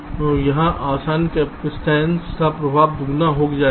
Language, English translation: Hindi, so here the effect of the adjacent capacitance will get doubled